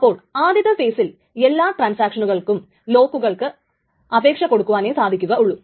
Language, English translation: Malayalam, In the first phase, all the transactions can simply request for locks